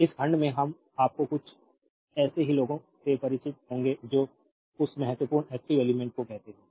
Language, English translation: Hindi, So, in this section we will be familiar with some of the your what you call that important active element